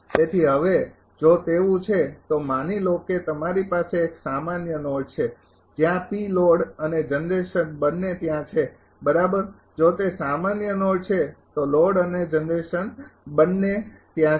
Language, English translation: Gujarati, So, now, if it is so, suppose you have a common node where P load and generation both are there right, if it is a common node if load and generation both are there